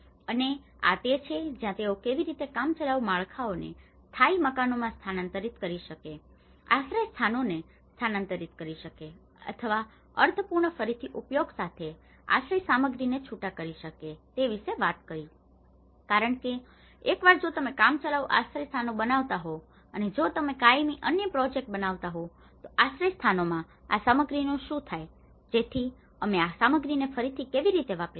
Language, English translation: Gujarati, And this is where they talked about how we can incrementally upgrade the temporary structures to the permanent houses, relocation of shelters or disassembly of shelter materials with meaningful reuse so because once if you are making a temporary shelters and if you are making another project of permanent shelters, what happens to this material, so how we can reuse this material